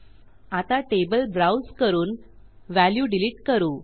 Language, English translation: Marathi, I am going to browse our table and delete this value